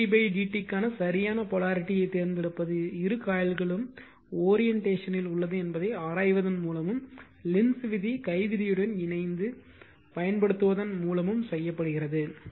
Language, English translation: Tamil, The choice of the correct polarity for M d i by d t is made by examining the orientation or particular way in which both coils are physically wound right and applying Lenzs law in conjunction with the right hand rule this is a difficult one right